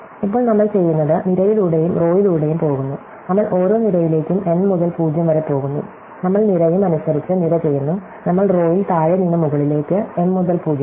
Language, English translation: Malayalam, Now, what we do is, we just go column by column and row by row, so we go to each column from n to 0, so we do column by column and each column, we go row by row from bottom to top, m to 0